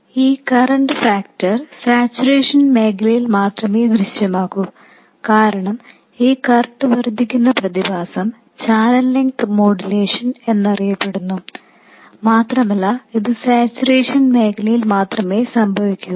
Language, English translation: Malayalam, And this correction factor appears only in the saturation region because the physical phenomenon by which this current increases is known as channel length modulation and that happens only in saturation region